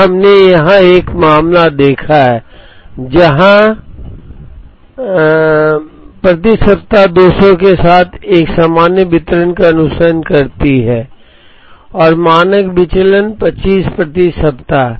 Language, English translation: Hindi, Now, we have seen a case here where, demand follows a normal distribution with mean 200 per week and standard deviation 25 per week